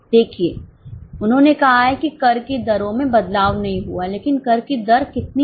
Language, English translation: Hindi, See they have said that tax rates have not changed